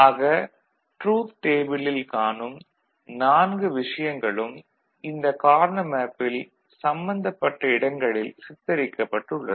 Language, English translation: Tamil, So, all the four things that you see in the truth table are represented in the Karnaugh map in their respective location, ok